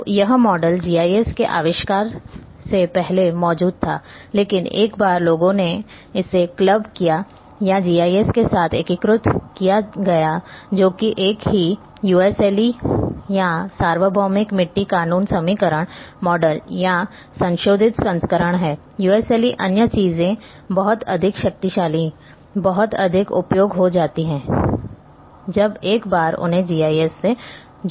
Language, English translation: Hindi, So, this model was existing before the invention of GIS, but once the people have clubbed it or integrated with GIS that is the same USLE or universal soil law equation model or revised version are USLE other things have become much more powerful much more useful once they got the linkage with the GIS